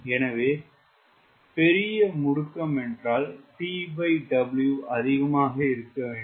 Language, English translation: Tamil, so larger acceleration means t by w should be high